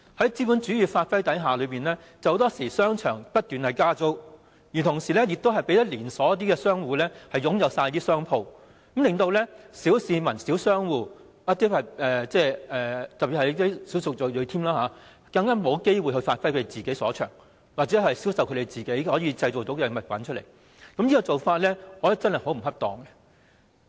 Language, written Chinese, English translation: Cantonese, 在資本主義發揮的影響下，很多時候商場不斷加租，同時讓連鎖商戶擁有全部商鋪，令小市民、小商戶，特別是小數族裔沒有機會發揮其所長或銷售他們製造的物品，我認為這種做法真的很不恰當。, Under the influence of capitalism shopping malls tend to increase rents constantly and all shops tend to be occupied by chain store operators . Therefore ordinary people and small traders especially the ethnic minorities do not have the opportunity to give full play to their strengths or sell the products they made . I think this approach is really inappropriate